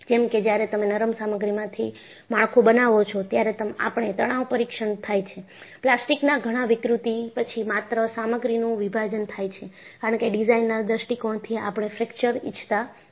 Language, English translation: Gujarati, Because when you make a structure out of ductile material, we have seen from a tension test, after lot of plastic deformation only the material separation occurs; because from a design point of view, we do not want fracture